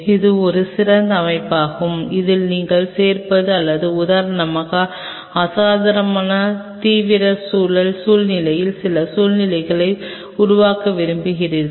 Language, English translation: Tamil, This is one specialize setup your adding in to it or say for example, you wanted to create certain situation of unusual extreme environment situation